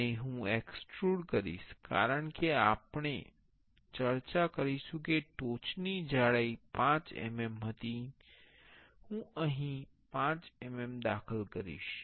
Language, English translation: Gujarati, And I will extrude as we discuss the thickness of the top part was 5 mm, I will enter 5 mm here